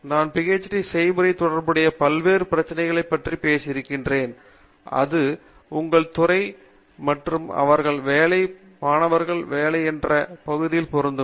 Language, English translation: Tamil, Let me know we have spoken about various issues associated with the PhD process and as it applies to your department and the areas that they work students work in and so on